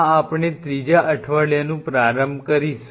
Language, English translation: Gujarati, So, this is our third week what we will be initiating